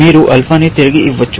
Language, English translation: Telugu, You can return alpha